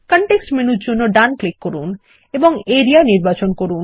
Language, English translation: Bengali, Right click for the context menu, and select Area